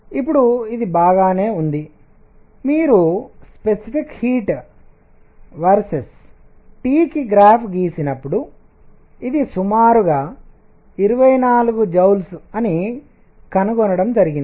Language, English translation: Telugu, Now this is fine, this is what was observed that if you plot specific heat versus T, it was roughly 24 joules